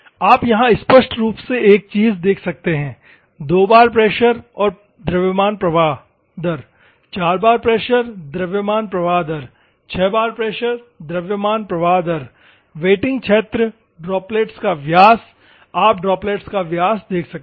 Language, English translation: Hindi, And you can here clearly see here same thing, 2 bar pressure, and mass flow rate 4 bar pressure mass flow rate, 6 bar pressure mass flow rate, the wetting area , droplet diameters, you can see the droplet diameters